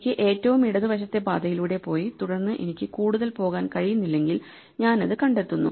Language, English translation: Malayalam, So, if I have to go from the left most path and if I cannot go any further then I find it